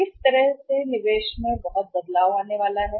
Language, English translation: Hindi, How much change in the investment is going to be there